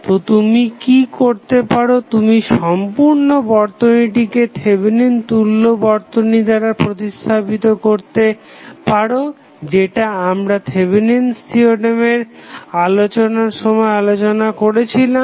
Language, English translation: Bengali, So, what you can do you can replace the whole circuit as a Thevenin equivalent that that is what we discuss when we discuss the Thevenin theorem